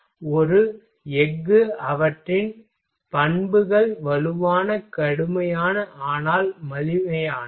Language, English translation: Tamil, So, their properties of a steel are strong stiff heavy, but cheap